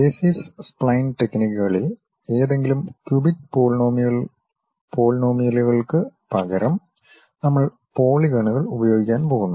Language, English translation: Malayalam, In basis spline techniques, we are going to use polygons instead of any cubic polynomials